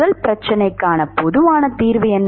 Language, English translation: Tamil, What is the general solution of the first problem